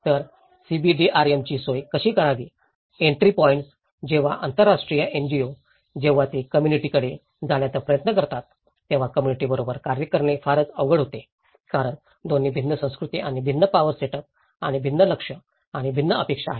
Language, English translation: Marathi, So, how to facilitate the CBDRM; the entry points, an international NGO when they try to approach the community, it was very difficult to work with the community because both are from different cultures and different power setups and different targets and different expectations